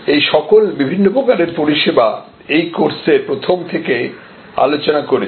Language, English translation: Bengali, These are all the different types of services that we have been discussing in this course right from the beginning